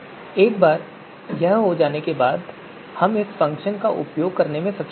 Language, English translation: Hindi, So once this is done we’ll be able to use this function